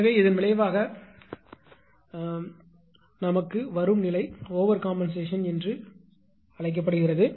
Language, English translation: Tamil, So, the resultant condition is known as overcompensation right